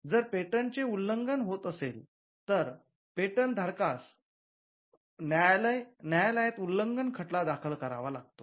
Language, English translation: Marathi, So, if there is an infringement of a patent, the patent holder will have to file an infringement suit before the courts